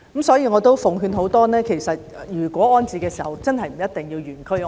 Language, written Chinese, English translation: Cantonese, 所以我想奉勸市民，其實不一定要原區安置。, I thus want to give a piece of advice to the public that it is not necessary to ask for in - situ rehousing